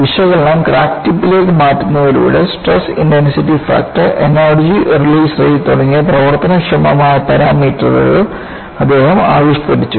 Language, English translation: Malayalam, By moving the analysis to the crack tip, he devised workable parameters like stress intensity factor and energy release rate